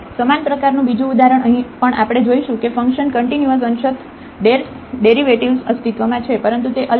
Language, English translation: Gujarati, Another example of similar kind here also we will see that the function is continuous partial derivatives exist, but it is not differentiable